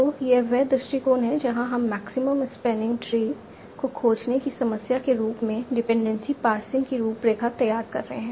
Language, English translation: Hindi, So this is a approach using where we are formulating dependency passing as a problem of finding maximum spanning tree